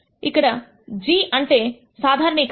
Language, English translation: Telugu, Here g stands for generalized